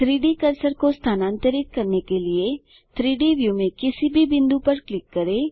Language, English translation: Hindi, Click on any point in the 3D view to move the 3D cursor